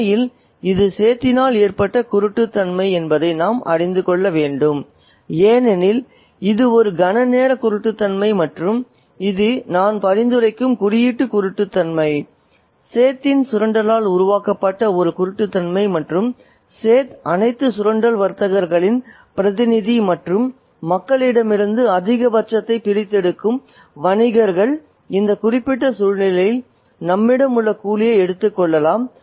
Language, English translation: Tamil, In fact, we need to know that this is blindness caused by the set himself because, and this is momentary blindness and it is also symbolic blindness I would suggest a blindness that is created by the exploitation of the set and the set is representative of all the exploitative traders and merchants who extract the maximum from people such as the coolie that we have here in this particular situation